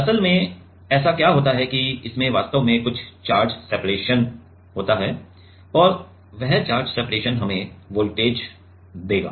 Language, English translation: Hindi, Actually what happens that it actually have some charge separation and that charge separation will give us the voltage